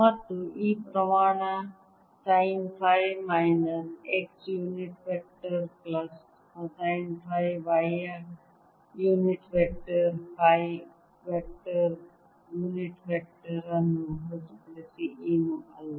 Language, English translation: Kannada, i can take common and this quantity sine phi minus x unit vector, plus cosine phi y unit vector, is nothing but phi vector, unit vector, because this is for r greater than or equal to r